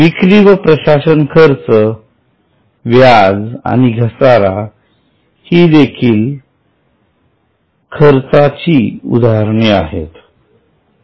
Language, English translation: Marathi, And selling and admin expense, interest and depreciation are expenses